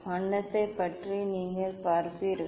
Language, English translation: Tamil, what about colour you will see